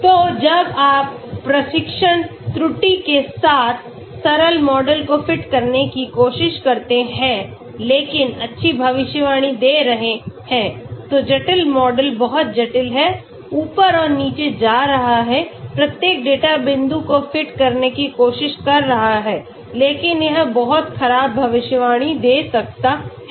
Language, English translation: Hindi, So when you try to fit simple model with training error but giving good prediction, complex model very complex, is going up and down, up and down, trying to fit each and every data point but it may give a very poor prediction